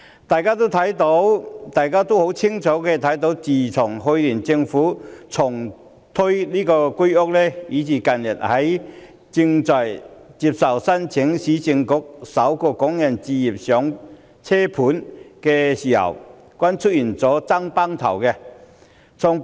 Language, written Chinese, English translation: Cantonese, 大家清楚看到，自從去年政府重推居者有其屋，以至近日接受申請的市區重建局"港人首置上車盤"均出現"爭崩頭"的情況。, We can see clearly the fierce competition for housing flats in the Home Ownership Scheme re - launched last year and the Urban Renewal Authoritys Starter Homes Scheme for Hong Kong Residents which is open for application recently